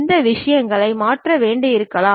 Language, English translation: Tamil, These things may have to be changed